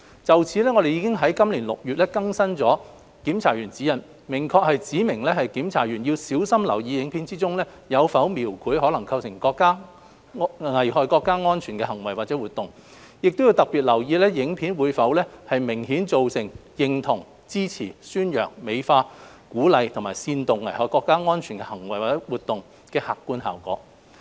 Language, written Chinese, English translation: Cantonese, 就此，我們已於今年6月更新《檢查員指引》，明確指明檢查員要小心留意影片中有否描繪可能構成危害國家安全的行為或活動，亦要特別留意影片會否明顯造成認同、支持、宣揚、美化、鼓勵或煽動危害國家安全的行為或活動的客觀效果。, In this connection we updated the Guidelines in June this year clearly indicating that censors should be vigilant to the portrayal of any act or activity in a film that may endanger national security in particular any content of a film which can be objectively perceived as endorsing supporting promoting glorifying encouraging or inciting act or activity that may endanger national security